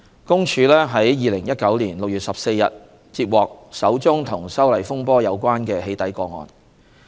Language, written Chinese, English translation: Cantonese, 公署於2019年6月14日接獲首宗與修例風波有關的"起底"個案。, PCPD received the first doxxing case related to the amendment of the Fugitive Offenders Ordinance on 14 June 2019